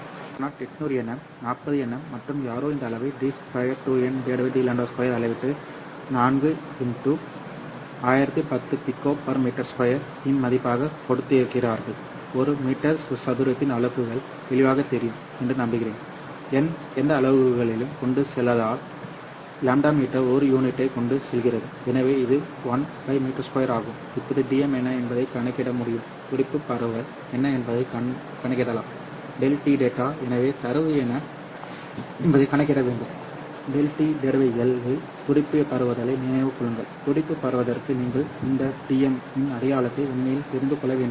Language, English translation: Tamil, So lambda 0 is 800 nanometer, delta lambda is 40 nanometer and someone has measured this quantity d square n by d lambda 0 square and they have given us this value of 4 into 10 to the power 10 per meter square i hope the units of per meter square is evident because n does not carry any units lambda carries a units of meter so this one is one by meter square now can you calculate what is dm also calculate what would be the pulse spread delta tau so you have to calculate what is delta tau per l remember delta tau is the pulse spreading in order to get the pulse spreading you don't really have to know the sign of this DM so you can just look at the absolute value of DM which will turn out to be lambda 0 square by c into d square n by d lambda 0 square that delta lambda into l has been thrown away in this particular case because dm is actually a quantity which is per picosecond per nanometer and kilometer so you first find out dm you can substitute the values here this is 800 nanometers or 8 micrometer so you can put that one there the velocity of light is 3 into 10 to the power 8 meter per second and then d square n by d lambda square is given as 4 into 10 to the power 10 per meter square